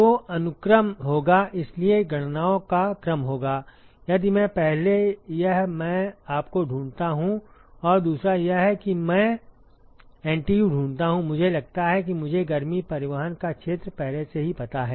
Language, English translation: Hindi, So, the sequence would be, so the sequence of calculations would be, if I, first this I find you and second is I find NTU excuse me suppose I know the area of heat transport, already